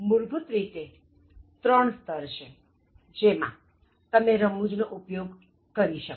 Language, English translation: Gujarati, There are at least three basic levels in which you can use humour okay